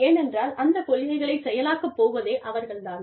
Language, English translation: Tamil, Because, they are the ones, who are actually going to implement them